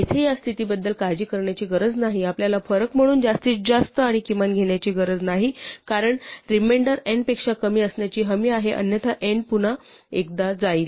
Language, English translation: Marathi, So we do not have to worry about this condition here, we do not have to take the max and the min as we did for the difference because the remainder is guaranteed to be less than n otherwise n would go one more time